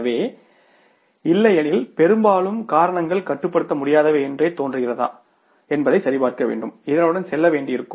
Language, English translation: Tamil, So, we will have to check that otherwise more largely the reasons seem to be uncontrollable and we will have to misgo with this